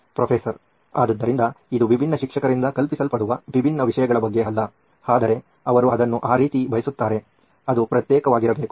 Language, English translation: Kannada, So it’s not about different subjects being taught by different teacher but they just want it that way, it should be separate